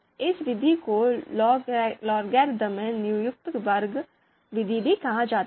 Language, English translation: Hindi, So under this this method is also referred as logarithmic least squares method